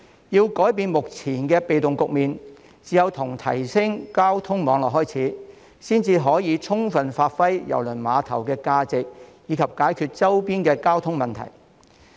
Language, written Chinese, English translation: Cantonese, 要改變目前的被動局面，只有從提升交通網絡方面着手，才可以充分發揮郵輪碼頭的價值，以及解決周邊的交通問題。, To turn around the current passive situation the only way is to improve the traffic network so that the value of the cruise terminal can be fully exerted and the traffic problems in the vicinity can be resolved